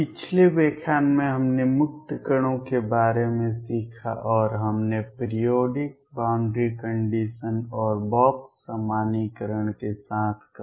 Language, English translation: Hindi, In the previous lecture we learnt about free particles and we said that with periodic boundary conditions and box normalization